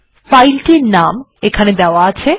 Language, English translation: Bengali, The name of this file is given here